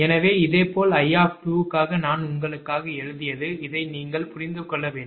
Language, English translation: Tamil, so similarly for i two, for everything i have written for you such that you should understand this right